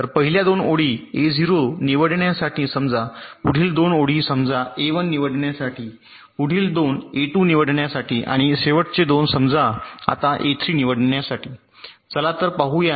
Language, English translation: Marathi, so the first two rows are suppose to select a zero, next two rows are suppose to select a one, next two supose to select a two and the last two suppose to select a three